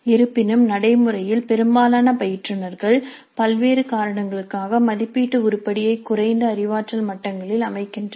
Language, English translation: Tamil, However, in practice most of the instructors do set the assessment item at lower cognitive levels for a variety of reasons